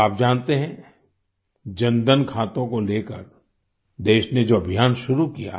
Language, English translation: Hindi, You are aware of the campaign that the country started regarding Jandhan accounts